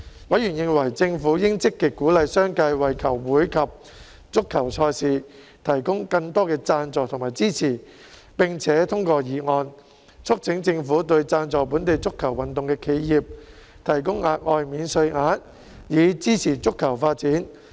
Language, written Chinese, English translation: Cantonese, 委員認為政府應積極鼓勵商界為球會及足球賽事提供更多贊助和支持，並且通過議案，促請政府對贊助本地足球運動的企業提供額外免稅額，以支持足球發展。, Members considered that the Government should actively encourage more commercial sponsorships and support for football clubs and matches and passed a motion urging the Government to introduce an additional tax allowance for enterprises sponsoring local football so as to support football development